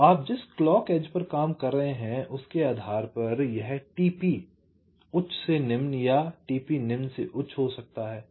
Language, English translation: Hindi, so, depending on the clock edge your working, it can be t p low to high or t p high to low